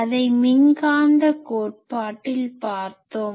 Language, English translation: Tamil, Actually it was taught in electromagnetic theory